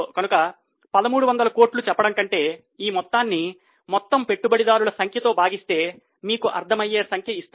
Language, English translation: Telugu, So, instead of telling 1,300 crores, if you divide it by number of shares, you will get a more understandable figure